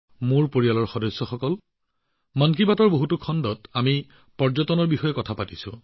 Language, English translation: Assamese, My family members, we have talked about tourism in many episodes of 'Mann Ki Baat'